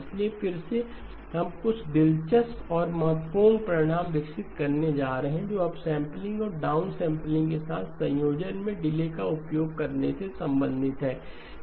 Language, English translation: Hindi, So again we are going to develop some interesting and important results which pertain to use of delays in combination with upsampling and downsampling